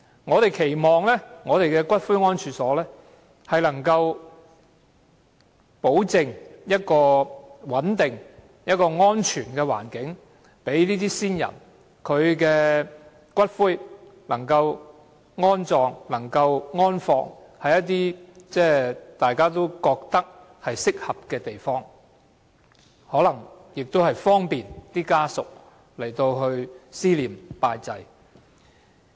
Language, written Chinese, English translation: Cantonese, 我們期望骨灰安置所可保證提供穩定、安全的環境，讓先人的骨灰安放於大家認為合適的地方，方便家屬思念、拜祭。, We hope that columbaria will guarantee the provision of a stable and secure environment so that ashes of the deceased may be interred in places we consider appropriate and convenient for family members to remember and pay tribute to the deceased